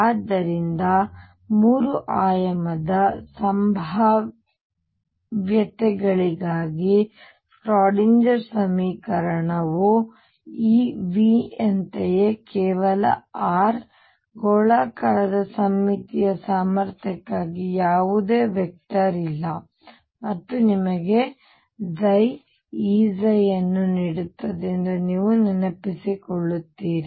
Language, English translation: Kannada, So, you recall that the Schrödinger equation for 3 dimensional potentials was like this V as a function of only r, no vector which is for the spherically symmetric potential and this operating on psi give you E psi